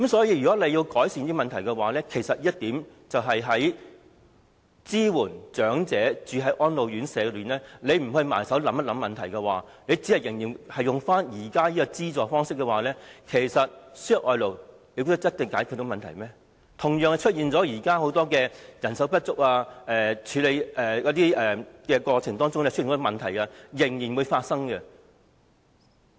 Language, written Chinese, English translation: Cantonese, 因此，政府要改善這問題，只考慮資助長者入住安老院舍，而不埋首思考問題根本，仍然沿用現行資助的方式的話，輸入外勞未必能解決問題，現時的人手不足或工作性質上很多問題同樣會發生。, Therefore if the Government only considers subsidizing elderly persons to stay in RCHEs as a solution without contemplating the root of the problem and continues the existing subsidy system importation of labour may not solve the problem and the many existing problems of manpower shortage or job nature will still arise